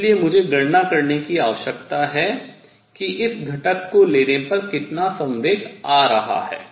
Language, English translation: Hindi, So, what I need to calculate is how much momentum is coming in take its component